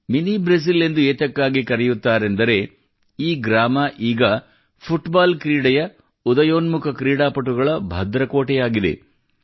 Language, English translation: Kannada, 'Mini Brazil', since, today this village has become a stronghold of the rising stars of football